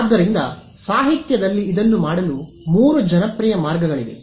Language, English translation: Kannada, So, in the literature there are three popular ways of doing this